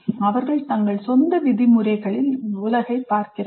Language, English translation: Tamil, They are looking at the world on their own terms